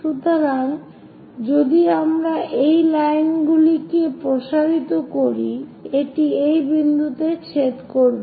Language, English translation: Bengali, So, if we are extending these lines, it is going to intersect at this point